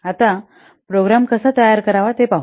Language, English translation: Marathi, So now let's see how to create a program